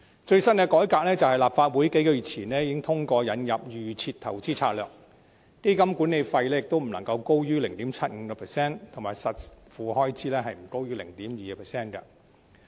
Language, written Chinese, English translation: Cantonese, 最新的改革是立法會於數月前通過引入預設投資策略，規定基金管理費不得高於 0.75%， 而實付開支亦不得高於 0.2%。, The latest revamp is the introduction of the default investment strategy approved by the Legislative Council a few months ago which mandates a rate of fund management fee not higher than 0.75 % and that of out - of - pocket expenses not higher than 0.2 %